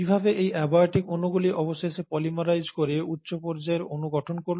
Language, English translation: Bengali, So how is it that these abiotic molecules eventually went on to polymerize and form higher order molecules